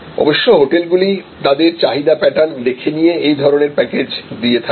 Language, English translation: Bengali, And the hotel will have to pay this kind of package with their demand pattern